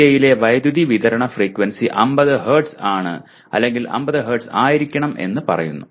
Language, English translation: Malayalam, Some specific details like power supply frequency in India is 50 Hz or it is supposed to be 50 Hz